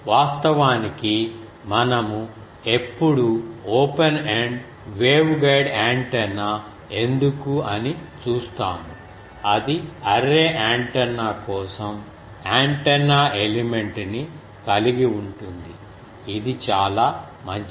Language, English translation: Telugu, Actually will see when that is why open ended waveguide antenna will see, that has an antenna element for array antenna this is quite good